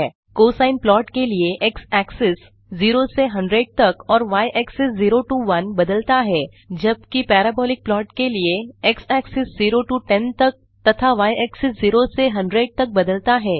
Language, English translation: Hindi, For the cosine plot x axis varies from 0 to 100 and y axis varies from 0 to 1 where as for the parabolic plot the x axis varies from 0 to 10 and y axis varies from 0 to 100